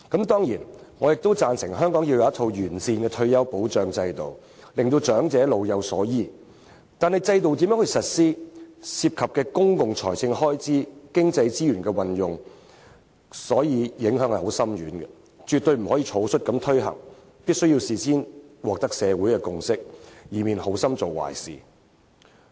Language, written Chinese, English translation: Cantonese, 當然，我亦贊成香港須有完善的退休保障制度，令長者老有所依，但如何實施制度，將涉及公共財政開支和經濟資源的運用，因此影響深遠，絕對不能草率推行，必須事先取得社會的共識，以免好心做壞事。, However the way we implement the system has something to do with public expenditure and the use of economic resources and will have profound and far - reaching impacts on our economy . Therefore social consensus must be sought beforehand and hasty implementation of the system is not recommended in order not to pave the road to hell with good intentions